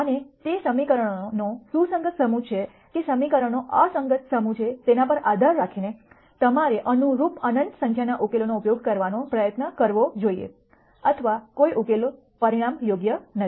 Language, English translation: Gujarati, And depending on whether it is a consistent set of equation or inconsistent set of equation you should be able to use the corresponding infinite number of solutions or no solutions result right